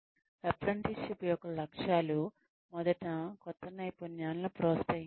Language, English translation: Telugu, The objectives of apprenticeship are, first is promotion of new skills